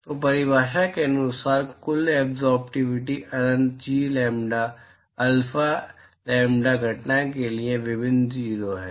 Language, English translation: Hindi, So, by definition, total absorptivity is integral 0 to infinity G lambda alpha lambda incident